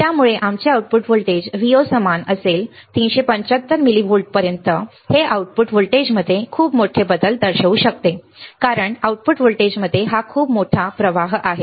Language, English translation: Marathi, So, our output voltage Vo will be equal to 375 millivolts this could represent a very major shift in the output voltage right, because this is the change in the output voltage is a very major drift